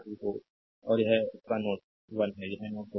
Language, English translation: Hindi, So, and ah at this is their node 1 this is node 2